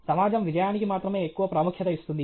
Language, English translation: Telugu, The society attaches too much importance only to success okay